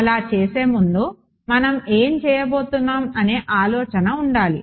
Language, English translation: Telugu, Before we do that we should have an idea of what we are going to do